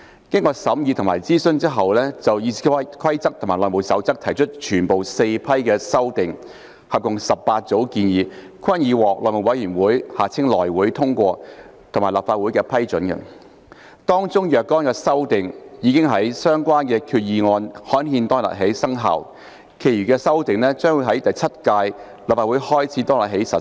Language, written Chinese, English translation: Cantonese, 經審議及諮詢後，議事規則委員會就《議事規則》及《內務守則》提出的全部4批修訂，合共18組建議均已獲內務委員會通過及立法會批准，當中若干修訂已於相關決議案刊憲當日起生效，其餘的修訂則將會由第七屆立法會開始當日起實施。, After discussions and consultations all four batches of amendments to RoP and HR comprising 18 groups of recommendations were passed and approved by the House Committee HC and the Legislative Council respectively . Some amendment items took effect immediately after the concerned resolutions were gazetted while the remaining ones will come into effect from the day the term of the Seventh Legislative Council commences